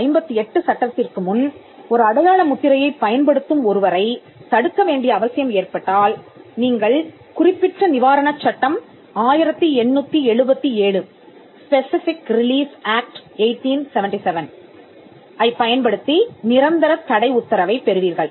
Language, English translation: Tamil, Now before the 1958 act, if there was a need to stop a person who was using a mark, you would use the Specific Relief Act 1877 and get a permanent injunction